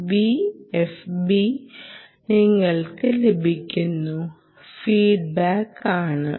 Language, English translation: Malayalam, so v f b, that is the feedback that you get